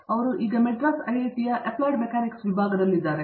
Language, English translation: Kannada, And he has been in the Department of Applied Mechanics here at IIT, Madras